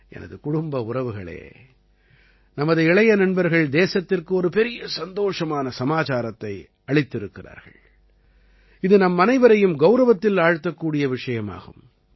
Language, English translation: Tamil, My family members, our young friends have given another significant good news to the country, which is going to swell all of us with pride